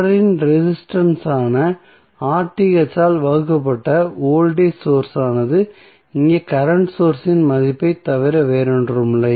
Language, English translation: Tamil, That the voltage source divided by the R Th that is the resistance in series would be nothing but the value of current source here